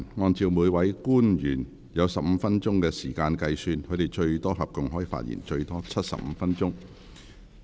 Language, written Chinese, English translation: Cantonese, 按照每位官員有15分鐘發言時間計算，他們合共可發言最多75分鐘。, On the basis of the 15 - minute speaking time for each officer they may speak for up to a total of 75 minutes